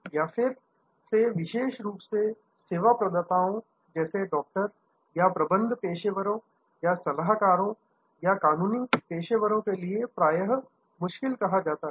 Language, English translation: Hindi, This again is often called difficult particularly for service providers like doctors or management professionals or consultants or legal professionals